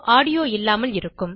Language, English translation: Tamil, The video is now without audio